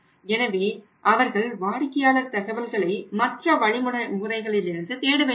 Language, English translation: Tamil, So, they have not to look for the customer information towards the other channels right